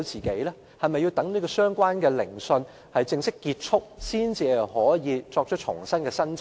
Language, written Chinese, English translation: Cantonese, 是否要待相關聆訊正式結束後，才可以重新提出申請？, Does the applicant have to wait till the completion of the proceedings to resubmit his application?